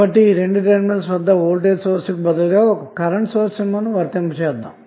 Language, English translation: Telugu, So instead of voltage source across these two terminals you will apply one current source